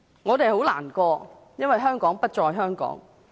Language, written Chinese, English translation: Cantonese, 我們很難過，因為香港將不再是香港。, We are very sad because Hong Kong will no longer be the same Hong Kong